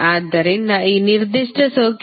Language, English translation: Kannada, So, what are the principal node in this particular circuit